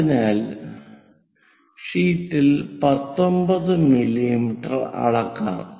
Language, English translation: Malayalam, So, let us measure 19 mm on the sheet